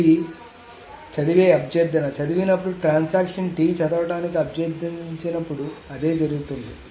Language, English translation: Telugu, That is what happens when the read is when a transaction T requests a read